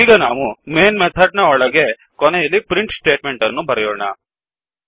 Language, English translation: Kannada, Now inside the Main method at the end type the print statement